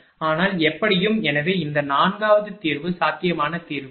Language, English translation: Tamil, But anyway, so this 4th solution is the feasible solution, right